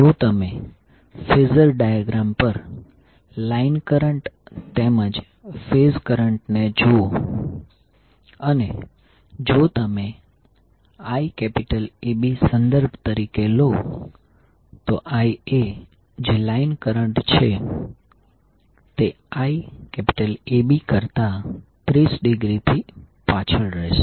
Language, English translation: Gujarati, So if you represent line current as well as phase current on the phasor diagram, if you take Iab as a reference, Ia that is the line current for Iab and Ica will be Ia and which will be 30 degree lagging from Iab